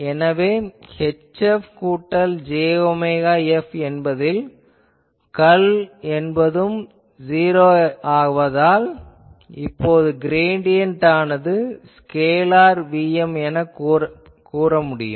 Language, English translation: Tamil, So, I can write H F plus j omega F that since curl of this is 0, I can say that gradient of these is a scalar function Vm